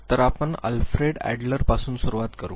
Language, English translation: Marathi, So, let us first begin with Alfred Adler